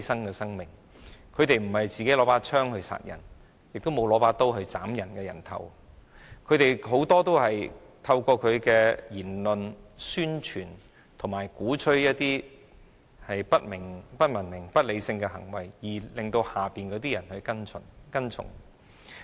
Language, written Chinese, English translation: Cantonese, 這些管治者不是拿着槍殺人，亦沒有拿着刀斬別人的人頭，他們很多時都是透過其言論，宣傳及鼓吹不文明、不理性的行為，而令下面的人跟從。, These rulers did not kill with guns; they did not hack peoples heads off with knives either . They mostly made people follow them through their words or uncivilized and insensible acts